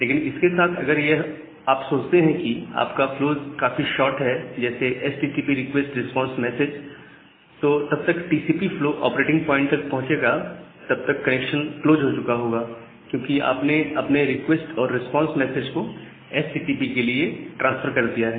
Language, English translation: Hindi, But with this, if you just think about your flows are very short like just like a HTTP request response message, by the time the TCP flow will reach to the operating point the connection will get closed because you have transferred your request and response message for HTTP